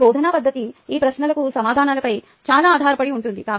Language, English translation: Telugu, my teaching methodology ah may depend a lot on answers to these questions